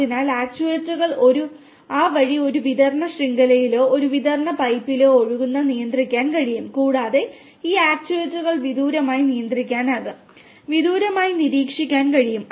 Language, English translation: Malayalam, So, these actuators that way will be able to control the flow in a distribution network or a distribution pipe from a junction that way and these further, these further these actuators can be controlled remotely; can be monitored remotely